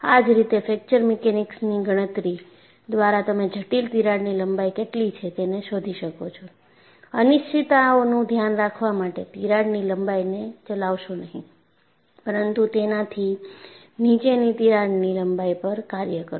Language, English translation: Gujarati, Similarly, by a fracture mechanics calculation you find out what is a critical crack length, and in order to take care of uncertainties, do not operate that crack length, but operate at a crack length below that